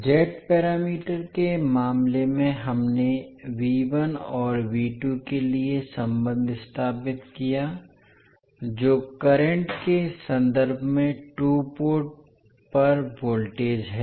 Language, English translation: Hindi, So in case of z parameters we stabilized the relationship for V1 and V2 that is the voltages at the two ports in terms of the currents